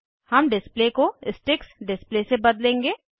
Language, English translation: Hindi, We will change the display to Sticks display